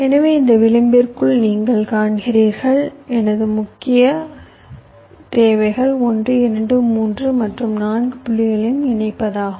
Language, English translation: Tamil, so here you see, just just inside this edge, my main requirements was to connect the points one, two, three and four